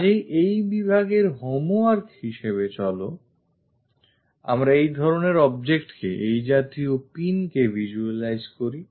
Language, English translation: Bengali, So, as a homework for thissection let us visualize this object this kind of pin